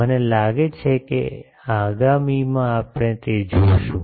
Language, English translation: Gujarati, I think the in the next one we will see that the